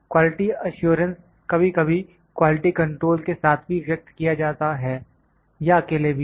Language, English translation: Hindi, Quality assurance is sometime expressed together with quality control or as a single expression